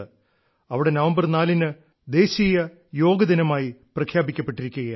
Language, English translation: Malayalam, There, the 4th of November has been declared as National Yoga Day